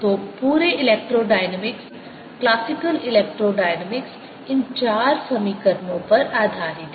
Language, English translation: Hindi, so entire electrodynamics, classical electrodynamics, is based on these four equations